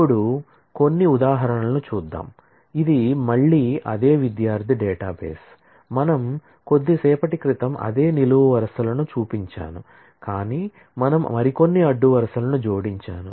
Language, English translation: Telugu, Now, let us look at some examples, this is again the same student database, I just shown a while ago the same set of columns, but I have added few more rows